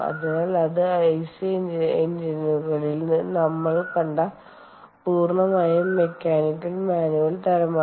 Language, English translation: Malayalam, ok, so thats a completely mechanical, manual type ah that we saw in ic engines as mechanical engines